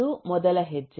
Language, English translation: Kannada, this is the first step